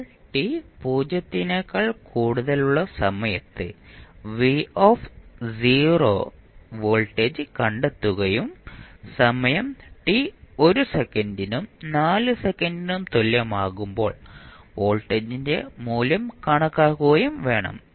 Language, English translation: Malayalam, We have to find the voltage v naught at time t greater than 0 and calculate the value of time voltage at time t is equal to 1 second and 4 second